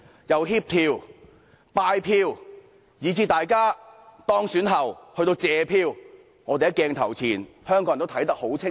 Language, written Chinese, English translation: Cantonese, 由協調、拜票，以至大家當選後去謝票，香港人在鏡頭前都看得很清楚。, All steps including coordination soliciting votes and even expressing thanks for votes after being elected have been clearly shown on camera to Hong Kong people